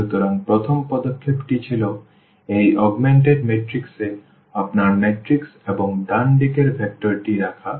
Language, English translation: Bengali, So, the first step was putting into this your matrix and the right hand side vector into this augmented matrix